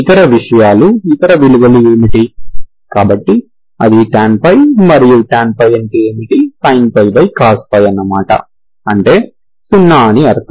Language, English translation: Telugu, Other things you will have tan, what is the other value, so that is tan pie, and what is tan pie, sin pie by cos pie, so that is 0